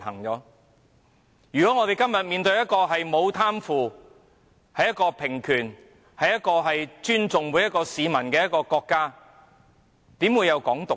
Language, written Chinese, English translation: Cantonese, 如果我們今天面對的是一個沒有貪腐、實行平權及尊重每一位市民的國家，試問又怎會有"港獨"呢？, If we face today a country where there is no corruption and equality of rights is upheld and respect is given to each and every citizen how would there be calls for Hong Kong independence?